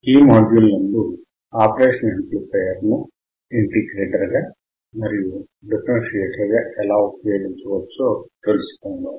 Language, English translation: Telugu, This module is on understanding the operational amplifier as an integrator and as a differentiator